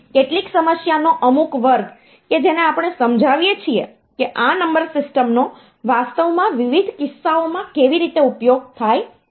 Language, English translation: Gujarati, Some class of some problem that we illustrate how these number systems are actually used in different cases